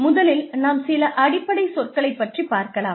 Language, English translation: Tamil, Let us, first deal with, some of the basic terms